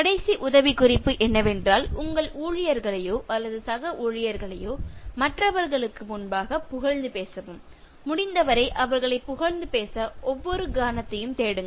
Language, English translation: Tamil, And the last tip is, praise your employees or colleagues in public before others and seek every moment to praise them whenever it is possible